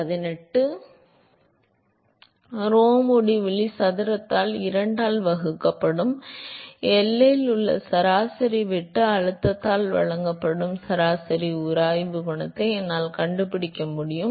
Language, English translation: Tamil, So, I can find out the average friction coefficient which is given by the average shear stress at the boundary, divided by rho uinfinity square by 2